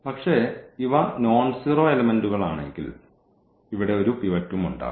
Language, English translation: Malayalam, But, if these are the nonzero elements if these are the nonzero elements then there will be also a pivot here